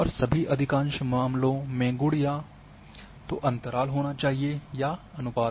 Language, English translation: Hindi, And in all most all cases the attribute must be interval or ratio